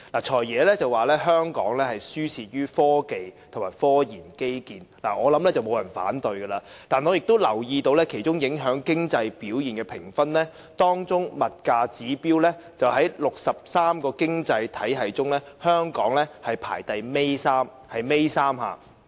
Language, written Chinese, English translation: Cantonese, "財爺"表示香港輸在科技和科研基建，我相信沒有人會反對，但我也留意到，當中影響經濟表現的評分，物價指標在63個經濟體系中，香港排名尾三。, The Financial Secretary thinks that what makes Hong Kong lose out to others is its technology and research infrastructure . I do not think anyone will disagree . But I notice that for prices a factor affecting the rating of economic performance Hong Kongs rating is third from last among the 63 economies